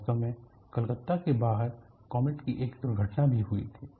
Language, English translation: Hindi, In fact, there was also an accident of Comet flying out of Calcutta